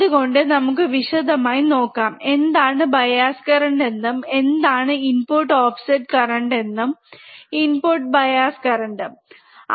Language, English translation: Malayalam, So, we will see in detail what exactly this bias current and what are the input offset current input bias current and so on and so forth in the in the following slides